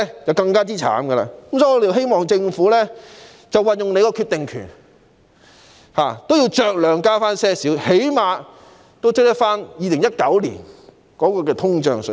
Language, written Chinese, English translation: Cantonese, 有見及此，我們希望政府運用決定權，酌量增加最低工資，最少要追及2019年的通脹水平。, In view of this we hope that the Government can use its decision - making power to raise the minimum wage to some extent so that it can catch up with the inflation in 2019 to say the least